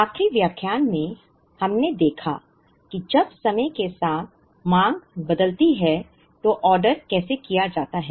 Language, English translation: Hindi, In the last lecture, we looked at how to order when the demand varies with time